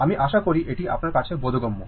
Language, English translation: Bengali, So, hope you are understanding this